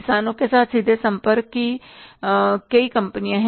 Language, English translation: Hindi, There are so many companies of the direct contacts with the farmers